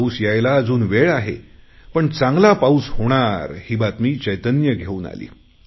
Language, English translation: Marathi, There is still some time for the monsoon to arrive, but the news of good rains has already brought joy